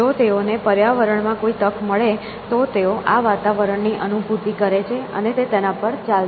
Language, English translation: Gujarati, If the see an opportunity in the environment, they sense an environment; they will go after it essentially